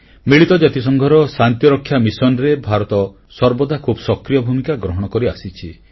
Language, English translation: Odia, India has always been extending active support to UN Peace Missions